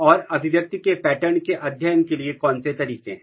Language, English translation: Hindi, And what are the way how to study the expression pattern